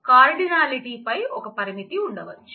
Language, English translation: Telugu, There could be a constraint on the cardinality